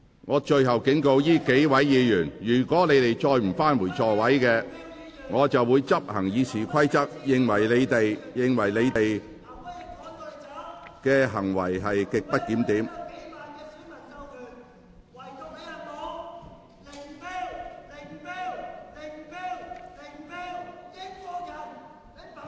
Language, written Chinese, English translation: Cantonese, 我最後警告這數位議員，如果你們再不返回座位，我會根據《議事規則》裁定你們行為極不檢點。, This is my last warning to these several Members . If they still do not return to their seats I will rule that their conduct is grossly disorderly in accordance with the Rules of Procedure